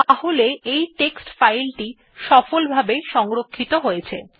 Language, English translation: Bengali, So our text file has got saved successfully